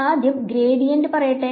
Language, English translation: Malayalam, So, first is let say gradient